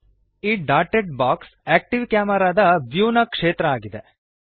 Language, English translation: Kannada, The dotted box is the field of view of the active camera